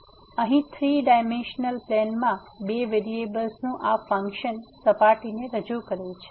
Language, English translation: Gujarati, So, this a function of two variables in 3 dimensional plane here represents a surface